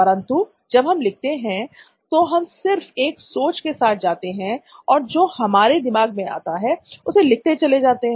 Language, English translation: Hindi, But whereas, in writing you just go with the thought process, we just keep writing what we are thinking in our head